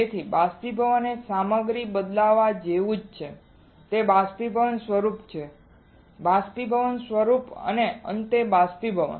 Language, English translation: Gujarati, So, evaporation is similar to changing a material to it is vaporized form vaporized form and finally, evaporating